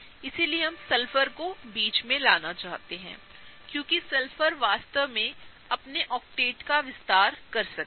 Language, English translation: Hindi, So, we want to put Sulphur in the middle, because Sulphur can really expand its octet